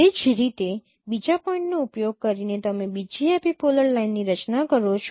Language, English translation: Gujarati, In the same way using the other point you form the second epipolar line